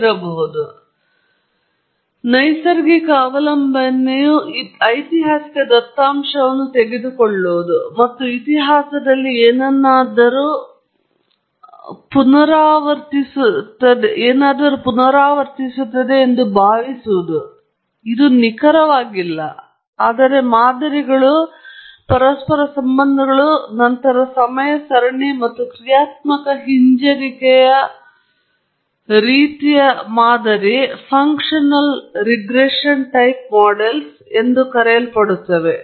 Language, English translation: Kannada, So, a natural recourse is to take the historical data and hope that there is something in the history that will repeat itself; not exactly, but there are patterns, and correlations, and so on, and then, build what is known as a time series or a dynamic regressive kind of model